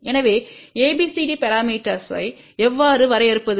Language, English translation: Tamil, So, how do we define ABCD parameter